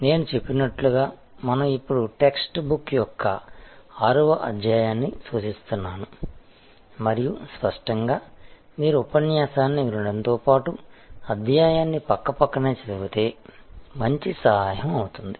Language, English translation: Telugu, As I mentioned, we are now referring to chapter number 6 of the text book and obviously, it will be a good help if you also read the chapter side by side, besides listening to the lecture